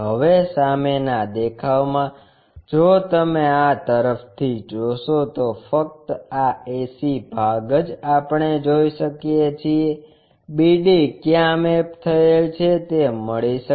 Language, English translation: Gujarati, Now, in the front view if you are looking from this side, only this ac portion we will be in a position to see where bd are mapped